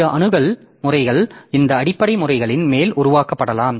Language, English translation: Tamil, Other access methods they can be built on top of this base base methods